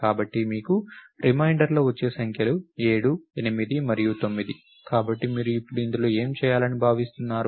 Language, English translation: Telugu, So, the numbers that remainders that you can have are 7, 8 and 9, so what will you expected to do in this now